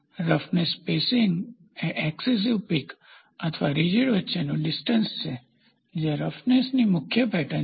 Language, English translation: Gujarati, Roughness spacing is the distance between successive peaks or ridges that constitute the predominant pattern of roughness